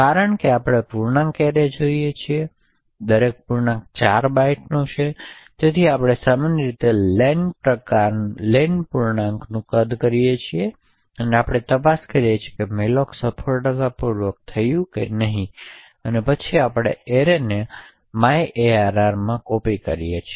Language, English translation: Gujarati, Since we want an integer array and each integer is of 4 bytes therefore we typically do len * the size of the integer and we check whether malloc was done successfully and then we copy array into myarray